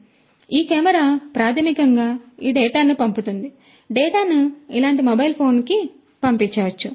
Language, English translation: Telugu, So, this camera basically sends this data to, this data could be sent to a mobile phone like this